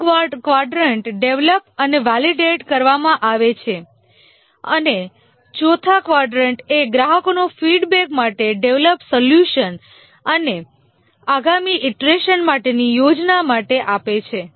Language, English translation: Gujarati, The third quadrant is developed and validate and the fourth quadrant is give the developed solution to the customer for feedback and plan for the next iteration